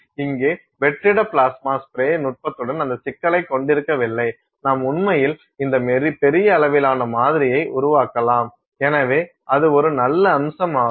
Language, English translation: Tamil, Here you do not have that problem in with vacuum plasma spray technique, you can actually make this large scale sample; so, that is a very nice aspect of it